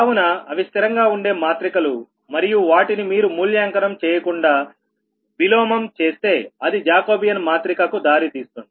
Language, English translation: Telugu, so it is a constant matrices and only if you invert them once, and thats all what you need, not evaluated, you can led jacobian matrix, right